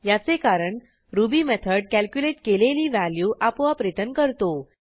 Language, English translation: Marathi, This is because Ruby automatically returns the value calculated in the method